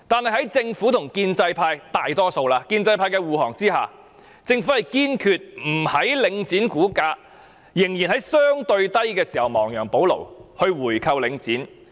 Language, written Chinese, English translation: Cantonese, 可是，政府在大多數建制派的護航下，堅決不在領展股價仍處於相對低位時亡羊補牢，回購領展。, Regrettably with the protection provided by the majority pro - establishment camp the Government insisted on not making any remedy by buying back Link REIT when its stock price was still on the low side